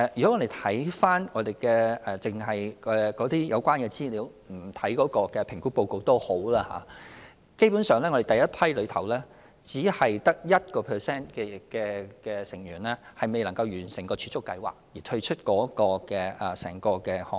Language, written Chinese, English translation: Cantonese, 即使我們只看有關資料而不看評估報告，基本上，第一批參與者之中只有 1% 成員因未能完成儲蓄計劃而退出整個項目。, Even if we merely look at the relevant information but not the assessment report basically only 1 % of the first batch of participants withdrew from the entire project due to failure to complete the savings programme